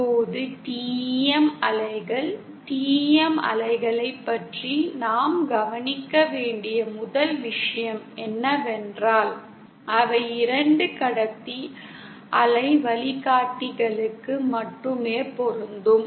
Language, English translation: Tamil, Now, TEM waves 1st thing we have to note about TEM waves is that they are applicable only for 2 conductor waveguides